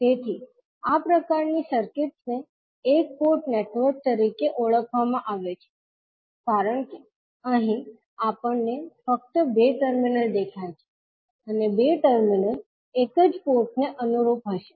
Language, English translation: Gujarati, So, these kind of circuits are called as a one port network because here we see only two terminals and two terminals will correspond to one single port